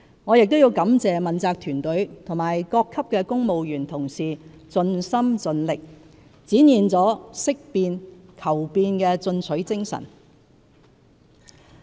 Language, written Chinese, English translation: Cantonese, 我亦要感謝問責團隊和各級公務員同事盡心盡力，展現了識變、求變的進取精神。, I have to thank my political team and colleagues of various ranks in the civil service for their exemplary dedication and progressive attitude in seeking and embracing change